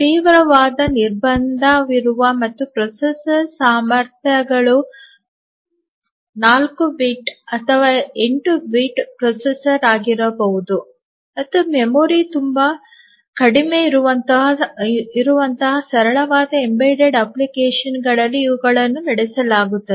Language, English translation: Kannada, These are run on very simple embedded applications where there is a severe constraint on the processor capabilities, maybe a 4 bit or 8 bit processor and the memory is very, very less